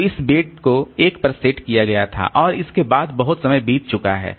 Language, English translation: Hindi, So, this bit was set to 1 and after that a lot of time has passed